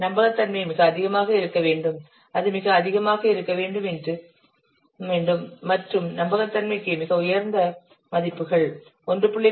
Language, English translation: Tamil, The reliability is required to be very, it should be very high and for reliability, very high value is 1